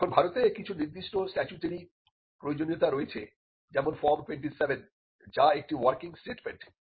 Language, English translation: Bengali, Now, in India there are certain statutory requirements like form 27, which is a working statement